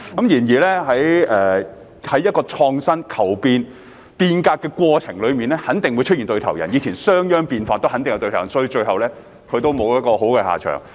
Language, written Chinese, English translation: Cantonese, 然而，在創新、求變、變革的過程中肯定會出現對頭人，以前商鞅變法亦有對頭人，最後他也沒有好下場。, However in the process of introducing innovation change and reform there are bound to be opponents . It happened in the past during the Reforms of Shang Yang who did not end up well